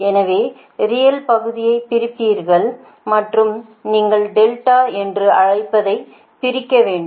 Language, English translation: Tamil, so separate real, the part and you have, you have to, you have what you call you have to your eliminate delta, right